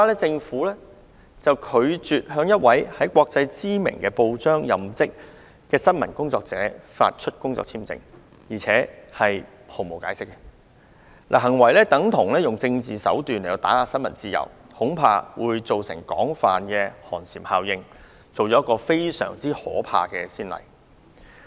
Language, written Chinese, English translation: Cantonese, 政府拒絕向一名在國際知名報章任職的新聞工作者發出工作簽證，並拒絕提供任何解釋，行為等同用政治手段打壓新聞自由，恐怕會造成廣泛寒蟬效應，立下一個非常可怕的先例。, The Government however refused to grant a work visa to a journalist of a world - famous newspaper without giving any reason; it is actually using political means to suppress freedom of the press . I am worried that this incident may give rise to widespread chilling effect and set a very bad precedent